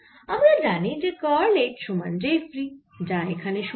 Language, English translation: Bengali, so we know that curl of h is j free, which is zero